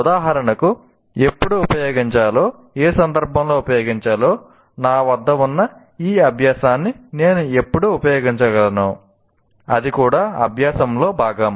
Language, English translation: Telugu, For example, when to use, in what context to use, when can I use this particular learning that I have, that is also part of the learning